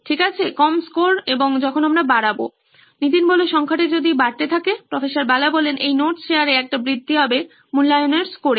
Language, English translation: Bengali, Okay, low scores and when we increase, Keep increasing the number of the shared notes, there is an increase in this assessment score